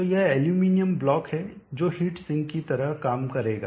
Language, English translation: Hindi, So this is the aluminum block which will act like a heat sink